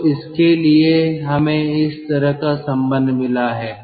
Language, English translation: Hindi, so for that we have got a relationship like this